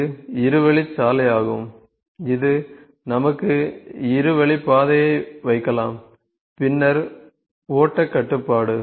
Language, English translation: Tamil, It is kind of a two way road like we have two way track can be put in then flow control